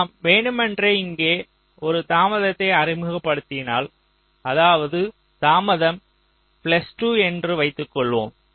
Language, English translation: Tamil, what i saying is that suppose we are deliberately introducing a delay out here, lets say, a delay of plus two